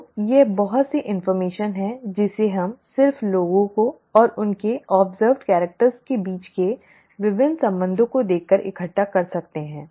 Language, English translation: Hindi, So this is lot of information that we can gather just by looking at what the the various relationships between people and their observed characters